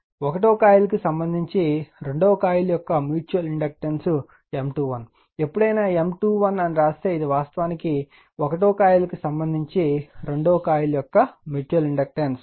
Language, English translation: Telugu, So mutual inductance M 2 1 of coil 2 with respect to coil 1 whenever, we write M 2 1 means, it is actually what you call mutual inductance of the coil 2 with respect to coil 1, this way you will read rights